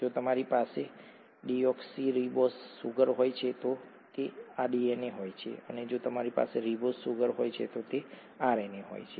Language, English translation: Gujarati, If you have a deoxyribose sugar you have DNA, if you have a ribose sugar you have RNA